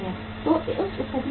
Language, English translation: Hindi, So in that case what will be there